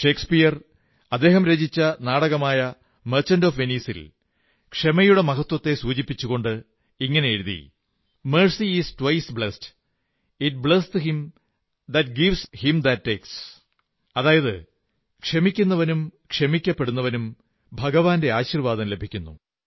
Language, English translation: Malayalam, Shakespeare in his play, "The Merchant of Venice", while explaining the importance of forgiveness, has written, "Mercy is twice blest, It blesseth him that gives and him that takes," meaning, the forgiver and the forgiven both stand to receive divine blessing